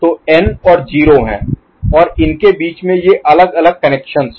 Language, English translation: Hindi, So, n and 0 are there and in between these are the different taps